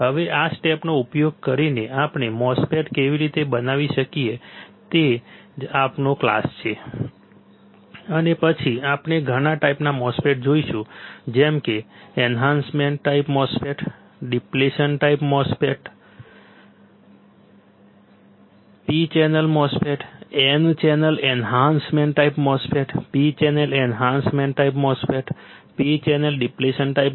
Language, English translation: Gujarati, Now using these steps how can we fabricate a MOSFET; that is today’s class and then we will see several type of MOSFETs like enhancement type MOSFET, depletion type MOSFET, P channel MOSFET, N channel enhancement type MOSFET, P channel enhancement type MOSFET, same the P channel depression type